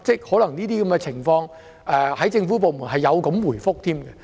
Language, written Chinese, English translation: Cantonese, 可能在一些情況當中，政府部門是這樣回覆的。, It was possible that in some instances that was the reply given to them by government departments